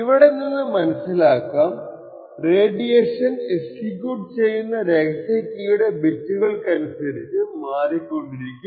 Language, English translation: Malayalam, So what we see over here is that the radiation differs depending on what bit of the secret key is being executed